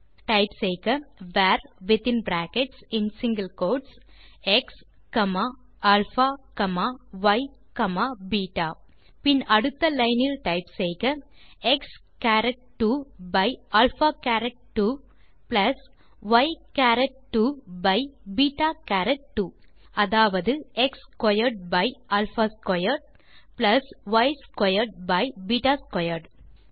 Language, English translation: Tamil, So let us type var within brackets and single quotes x comma alpha comma y comma beta Then next line you can type x charat 2 by alpha charat 2 plus y charat 2 by beta charat 2 That is x squared by alpha squared plus y squared by beta squared